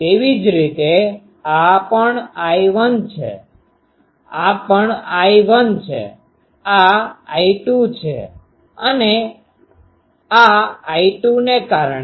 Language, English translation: Gujarati, Similarly, this one is also I 1, this is also I 1, this is I 2 and due to this I 2